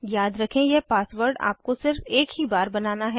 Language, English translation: Hindi, Remember you have to create this password only once